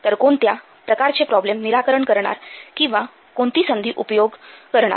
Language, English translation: Marathi, So, what kind of problem we are going to solve or what opportunity you are going to exploit